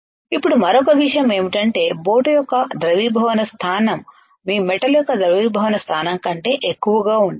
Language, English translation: Telugu, Now another point is the melting point melting point of boat should higher than melting point of your metal correct right